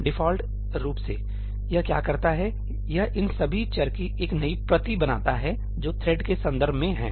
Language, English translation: Hindi, By default, what it does is, it creates a new copy of all these variables that are in the context of the thread